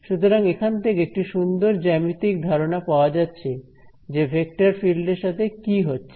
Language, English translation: Bengali, So, this gives us a very nice geometric intuition of what is going on with a vector field